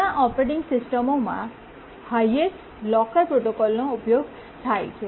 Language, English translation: Gujarati, The highest locker protocol is used in many operating systems